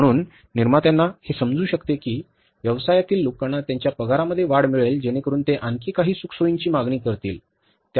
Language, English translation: Marathi, So, the manufacturers can understand that business people will get hike in their salaries so they may demand some more comforts and similarly the luxuries